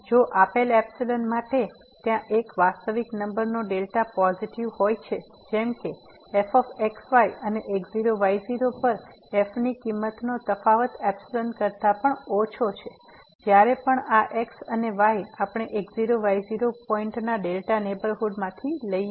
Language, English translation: Gujarati, If for a given epsilon there exist a real number delta positive; such that this difference between and this value of at less than epsilon whenever these and ’s if we take from the delta neighborhood of naught naught point